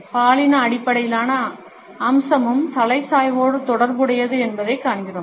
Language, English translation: Tamil, We find that a gender based aspect is also associated with a head tilt